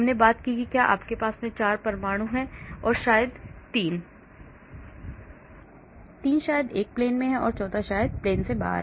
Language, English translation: Hindi, I talked about if you have 4 atoms, 3 maybe in one plane, the fourth one maybe out of the plane